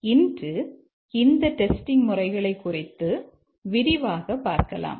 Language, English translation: Tamil, We will discuss these testing techniques today in further detail